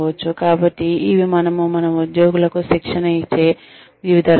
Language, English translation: Telugu, So various ways in which, we can train our employees